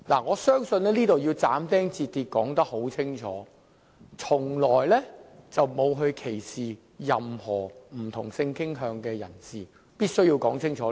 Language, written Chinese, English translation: Cantonese, 我要就此斬釘截鐵地說明白，我們從來沒有歧視不同性傾向的人士，這點我是必須要說清楚的。, I have to state definitely and firmly here that we have never discriminated against persons with different sexual orientation . I must make this point very clear